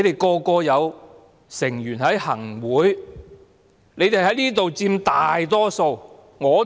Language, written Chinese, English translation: Cantonese, 他們有成員在行政會議，在這裏亦佔大多數。, They have members in the Executive Council and they are also the majority here